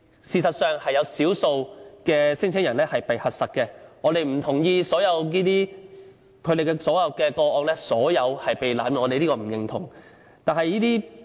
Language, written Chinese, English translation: Cantonese, 事實上，也有少數聲請人被核實，故此我們不同意所有個案都是被濫用，這是我們所不認同的。, In fact as a small number of claimants are still verified we therefore do not agree with the accusation that every case is being abused . This is something we do not agree with